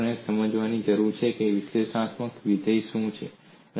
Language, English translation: Gujarati, So we need to understand, what an analytic functions